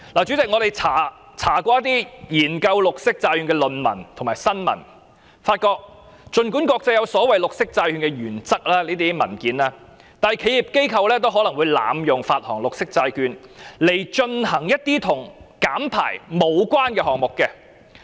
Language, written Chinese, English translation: Cantonese, 主席，我們查閱過一些研究綠色債券的論文和新聞，發現儘管國際間有所謂綠色債券原則的文件，但企業機構也會濫用綠色債券來進行一些與減排無關的項目。, President we have looked up some dissertations and news reports on green bonds . We found that although documents concerning the so - called green bond principles are available around the world some enterprises or organizations would abuse green bonds to undertake projects unrelated to emission reduction